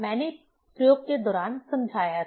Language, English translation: Hindi, I explained during the experiment